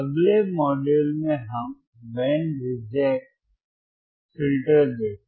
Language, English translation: Hindi, So, in the next module, we will see what is band reject filter